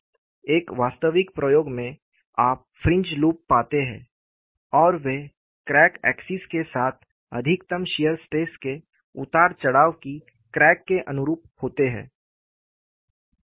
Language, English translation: Hindi, In an actual experimentation, you do find fringe loops, and they correspond to variation of maximum shear stress along the crack axis